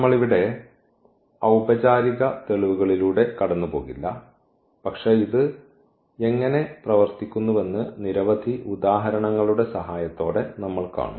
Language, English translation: Malayalam, Again we will not go through the formal proof here, but we will see with the help of many examples, how this is working